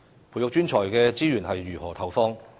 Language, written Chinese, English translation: Cantonese, 培育專才的資源應如何投放？, How should we devote resources to nurturing such professionals?